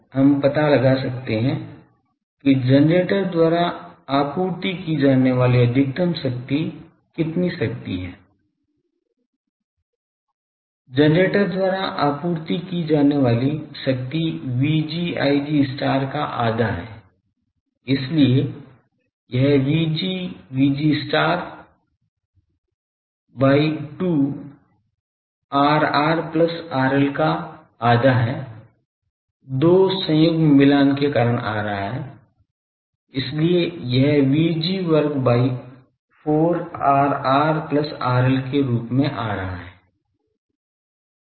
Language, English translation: Hindi, So, also we can find out the maximum power supplied by the generator, how much power, Power supplied by the generator is half V g I g star so, it is half V g Vg star by 2 R r plus R L, 2 coming because of conjugate matching, so that is coming as V g square by 4 R r plus R L